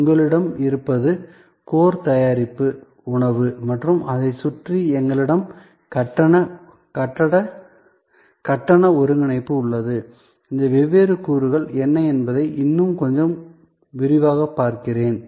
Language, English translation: Tamil, That you have the core product is food and around it we have payment consolidation, let me go through a little bit more in detail that what are this different elements